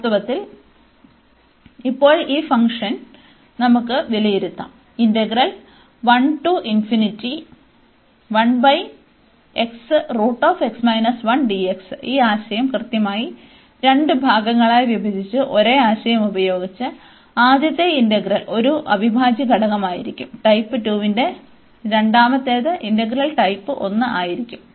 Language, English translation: Malayalam, Indeed now in this case, we can also evaluate this function exactly using the same idea by breaking this integral into two parts, where the first integral will be a integral of type 2, the second will be of integral type 1